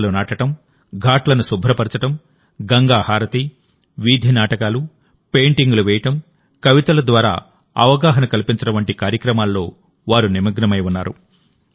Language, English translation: Telugu, They are engaged in spreading awareness through planting trees, cleaning ghats, Ganga Aarti, street plays, painting and poems